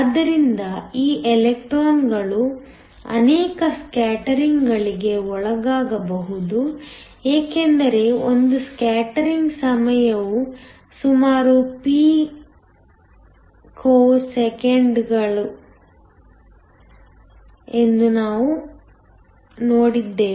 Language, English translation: Kannada, So, these electrons can undergo multiple scatterings because we saw that a scattering time is around picoseconds